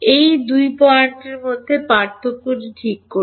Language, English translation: Bengali, Right the difference between these 2 points